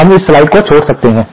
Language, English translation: Hindi, We could skip this slide